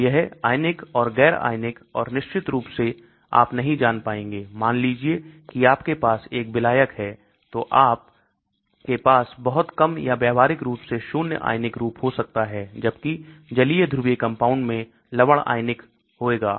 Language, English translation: Hindi, So it takes ionised, un ionized and of course you will not find ; suppose you have a solvent, you might have very little or practically zero ionized form , whereas in aqueous polar compounds, salts will get ionized